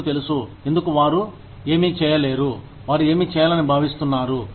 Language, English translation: Telugu, You know, because, they are not able to do, what they are expected to do